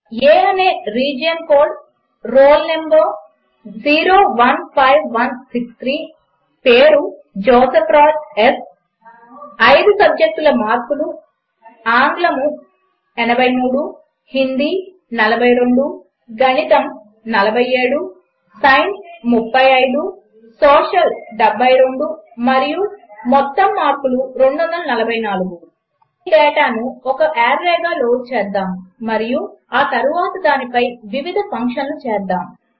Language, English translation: Telugu, * Region Code which is A * Roll Number 015163 * Name JOSEPH RAJ S * Marks of 5 subjects: ** English 083 ** Hindi 042 ** Maths 47 ** Science 35 **Social Science 72 and Total marks 244 Lets load this data as an array and then run various functions on it